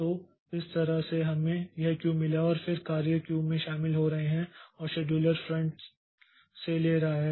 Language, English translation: Hindi, So, that way we have got this queue and then the jobs are joining into the queue and the scheduler is taking from the front